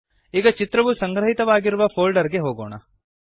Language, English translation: Kannada, Now lets go to the folder where the image is located